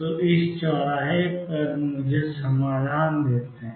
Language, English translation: Hindi, So, intersections give me the solutions